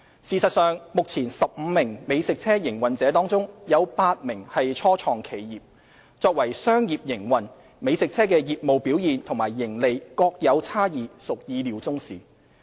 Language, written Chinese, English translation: Cantonese, 事實上，目前15名美食車營運者中，有8名是初創企業，作為商業營運，美食車業務表現及盈利各有差異屬意料中事。, In fact 8 out of the 15 existing food truck operators are start - up enterprises . As a business venture it is foreseeable that there is variation in the business performance and profits earned among different food trucks